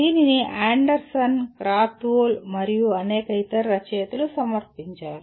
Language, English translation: Telugu, It is presented by Anderson, Krathwohl and several other authors